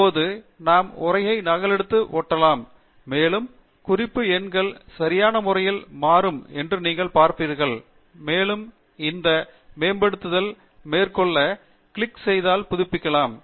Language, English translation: Tamil, And we can now copy paste the text around, and you would see that the reference numbers would change appropriately, and to update if you just click on this Update Citations